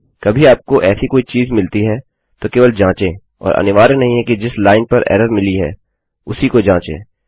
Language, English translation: Hindi, If you ever get things like that, just check and dont necessarily check the line that the error has been returned on